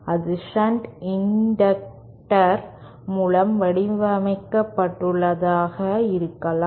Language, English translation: Tamil, That can be modelled by this shunt inductor